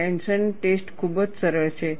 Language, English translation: Gujarati, A tension test is very simple